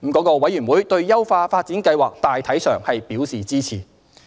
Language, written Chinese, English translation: Cantonese, 該委員會對優化發展計劃大體上表示支持。, The Committee was generally supportive of the upgrading plan